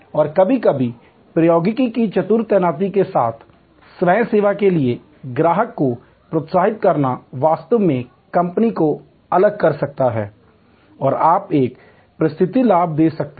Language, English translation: Hindi, And sometimes with clever deployment of technology, encouraging the customer for self service can actually differentiate the company and you can give a competitive advantage